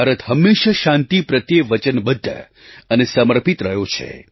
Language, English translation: Gujarati, India has always been resolutely committed to peace